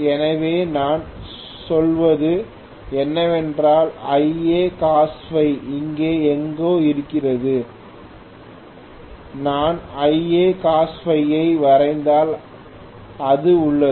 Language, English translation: Tamil, So what I mean is Ia Cos phi is somewhere here right, if I draw Ia Cos phi this is have it is